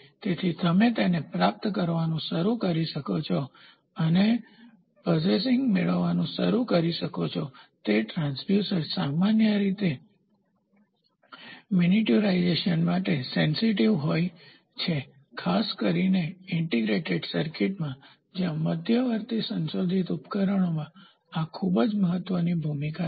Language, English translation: Gujarati, So, you can start receiving it and start possessing, it transducers are commonly susceptible to miniaturisation especially in integrated circuits where this in intermediate modified devices place a very very important role